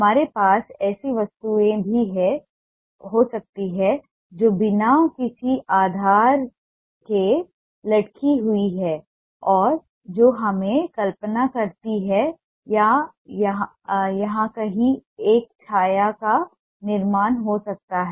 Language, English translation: Hindi, we can also have objects that are hanging with no sense of base and that makes us imagine that there can be a shadow formation somewhere here